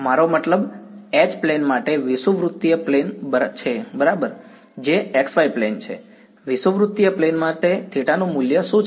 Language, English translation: Gujarati, I mean for H plane is the equatorial plane right that is the x y plane, what is the value of theta for the equatorial plane